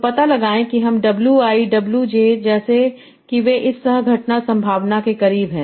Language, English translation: Hindi, So find out W I and WJ such that they are close to this co ocrence probability